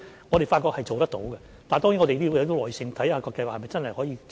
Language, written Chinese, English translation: Cantonese, 我們發覺是做得到的，但當然我們要有耐性，看看計劃是否真的可以持續。, We find that it does work but of course we need to be patient and see whether this scheme can really sustain